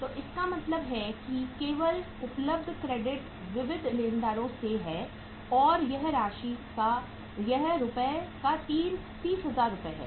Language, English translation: Hindi, So it means only the credit available is from the sundry creditors and that is 30,000 worth of rupees